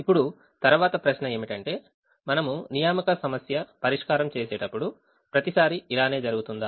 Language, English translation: Telugu, now the next question is: will this happen every time we solve an assignment problem or can something else happen